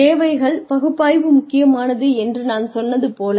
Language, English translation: Tamil, Like, I told you, a needs analysis is important